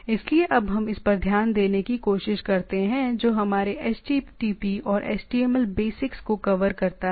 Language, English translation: Hindi, So, with this we now try to look at this this covers our http and html basics